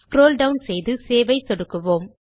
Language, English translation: Tamil, Let us scroll down and lets click on SAVE